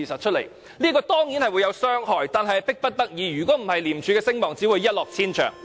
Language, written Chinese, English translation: Cantonese, 這樣做當然會有傷害，但實屬迫不得已，否則廉署的聲望只會一落千丈。, Damage would surely be done but we really have no alternative . The reputation of ICAC will only be disastrously affected if we do not take this course of action